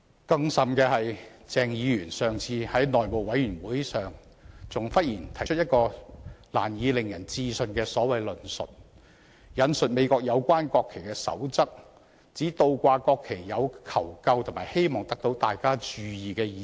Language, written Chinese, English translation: Cantonese, 更甚的是，鄭議員上次在內務委員會上忽然提出一種令人難以置信的所謂論述，引述美國有關國旗的守則，指倒掛國旗有求救和希望得到大家注意的意思。, Worse still at a meeting of the House Committee on the last occasion Dr CHENG suddenly put forward a so - called argument which was hardly cogent citing the code on the national flag of the United States and pointing out that the inverted national flag signalled a call for help or attention